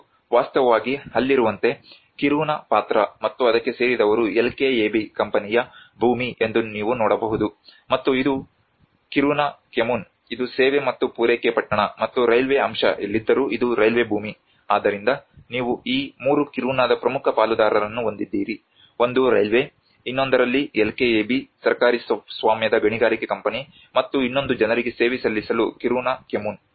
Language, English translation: Kannada, And in fact there also to understand the Kiruna character and the belonging of it like you can see this is the LKAB company land, and this is the Kiruna Kommun this is the service and the supply town and wherever the railway aspect is there this is the railway land, so you have these 3 are the major stakeholders of the Kiruna one is the railway the other one is the LKAB state owned mining company and the other one is the Kiruna Kommun to serve the people